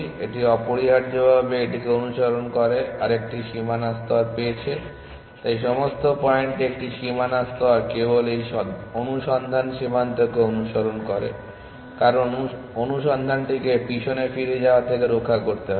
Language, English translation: Bengali, It is got another boundary layer following it essentially, so at all points a boundary layer just follows this search frontier because it needs keep the search from leaking back